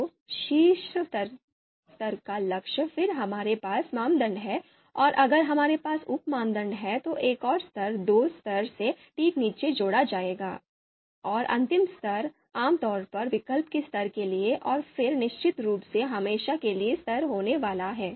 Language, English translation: Hindi, So top level goal, then we have criteria and in case we have sub criteria then there would be another level is going to be added just below level 2, and the last level is typically you know typically always going to be the level for alternatives and then you know arrows I have already explained